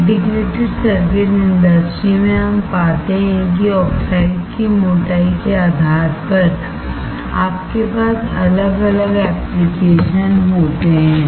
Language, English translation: Hindi, In Integrated Circuit industry, we find that depending on the thickness of the oxide you have different applications